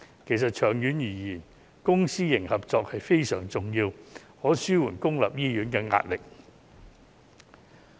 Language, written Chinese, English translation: Cantonese, 其實，長遠而言，公私營合作是非常重要的，可以紓緩公立醫院的壓力。, In fact public - private partnership is crucial to alleviating the pressure on public hospitals in the long run